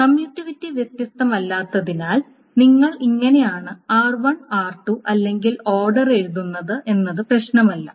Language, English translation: Malayalam, And since competitivity is not different, it doesn't matter how you write R1, R2 which order it right